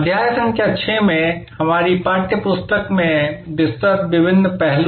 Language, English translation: Hindi, Different aspects as detailed in our text book in chapter number 6